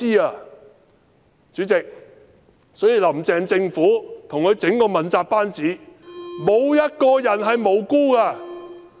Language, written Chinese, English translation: Cantonese, 因此，主席，"林鄭"政府及其整個問責班子沒有一個人是無辜的。, For these reasons President none of the Carrie LAM Government and her entire accountability team are innocent